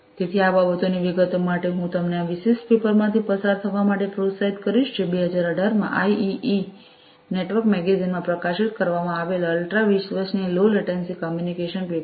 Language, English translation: Gujarati, So, for details of these things I would encourage you to go through this particular paper which is the achieving ultra reliable low latency communication paper which has been published in the IEEE network magazine in 2018